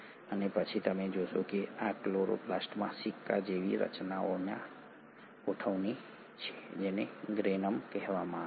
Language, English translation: Gujarati, And then you find that this chloroplast has this arrangement of coin like structures which are called as the Granum